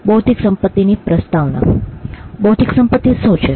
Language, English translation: Gujarati, What is an intellectual property